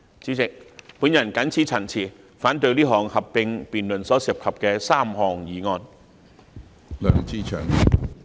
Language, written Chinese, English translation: Cantonese, 主席，我謹此陳辭，反對這項合併辯論所涉及的3項議案。, President with these remarks I oppose the three motions in this joint debate